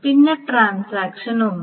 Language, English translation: Malayalam, This is complete transaction 1